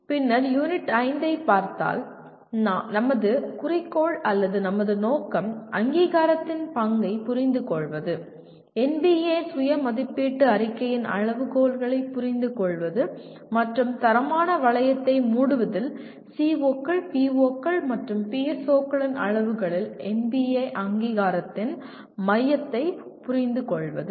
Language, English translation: Tamil, Then coming to Unit 5, our goal or our aim is to understand the role of accreditation, understand the criteria of NBA Self Assessment Report and understand the centrality of NBA accreditation in closing the quality loop at the levels of COs, POs and PSOs